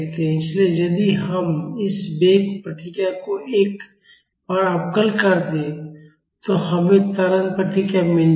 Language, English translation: Hindi, So, if we differentiate this velocity response once, we would get the acceleration response